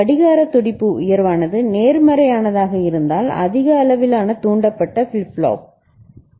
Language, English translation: Tamil, The clock pulse high has become low if it is a positive, high level triggered flip flop ok